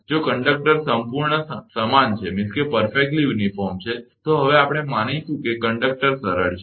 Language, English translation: Gujarati, If the conductors are perfectly uniform, now we are assume the conductors are smooth right